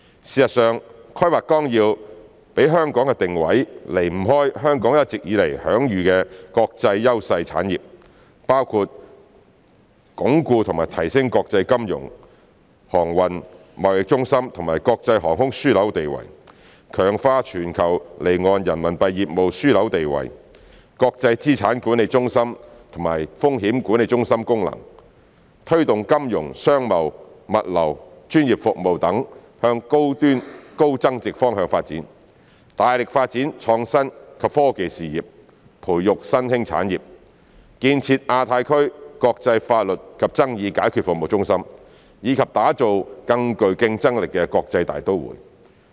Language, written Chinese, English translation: Cantonese, 事實上，《規劃綱要》給香港的定位，離不開香港一直以來享譽國際的優勢產業，包括鞏固和提升國際金融、航運、貿易中心和國際航空樞紐地位；強化全球離岸人民幣業務樞紐地位、國際資產管理中心及風險管理中心功能；推動金融、商貿、物流、專業服務等向高端高增值方向發展；大力發展創新及科技事業，培育新興產業；建設亞太區國際法律及爭議解決服務中心；以及打造更具競爭力的國際大都會。, In fact the positioning of Hong Kong under the Outline Development Plan is closely related to the industries with competitive advantages that Hong Kong has long enjoyed an international reputation for . Among which the Outline Development Plan supports Hong Kong in consolidating and enhancing its status as international financial transportation and trade centres as well as an international aviation hub; strengthening Hong Kongs status as a global offshore Renminbi business hub and its role as an international asset management centre and a risk management centre; promoting the development of high - end and high value - added financial commercial and trading logistics and professional services; making great efforts to develop the innovation and technology industries nurturing emerging industries; establishing Hong Kong as the centre for international legal and dispute resolution services in the Asia - Pacific region; and developing Hong Kong into an international metropolis with enhanced competitiveness